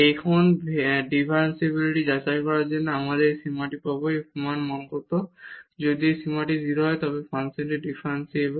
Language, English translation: Bengali, Now, to check the differentiability we will get this limit at what is the value of this limit, if this limit comes to be 0 then the function is differentiable